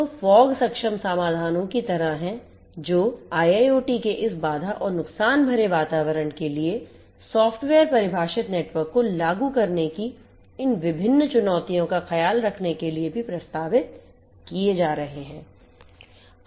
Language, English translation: Hindi, So, there are like fog enabled solutions that are also being proposed in order to take care of these different challenges of implementing software defined networks for this constraint and constraint and lossy environments of IIoT